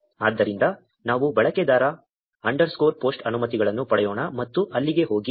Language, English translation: Kannada, So, let us get the user underscore post permissions and there you go